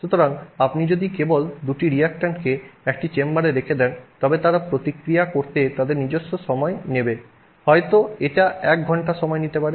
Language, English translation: Bengali, So, if you simply put the two reactants in a chamber, they would take their own time to react, it may take an hour to react